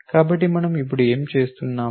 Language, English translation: Telugu, So, what are we doing now